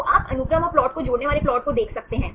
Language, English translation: Hindi, So, you can see the plot connecting the sequence and the plot